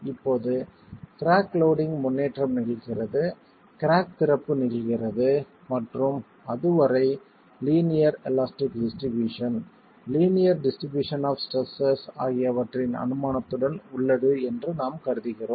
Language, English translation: Tamil, Now we have assumed that the crack loading progresses, crack opening happens and up to that it's still with the assumption of the linear elastic distribution, linear distribution of stresses